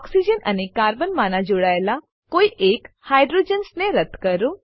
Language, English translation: Gujarati, Delete hydrogens attached to one of the oxygen and Carbon